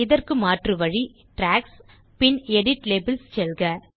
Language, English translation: Tamil, Another way to do this is to go to Tracks gtgt Edit Labels